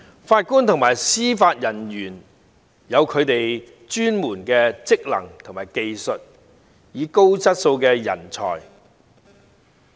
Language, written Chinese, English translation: Cantonese, 法官和司法人員有他們的專門職能和技術，是高質素的人才。, JJOs have their specialized functions and skills and are high quality talents